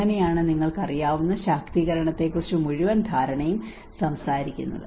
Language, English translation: Malayalam, That is how the whole understanding talks about the empowerment you know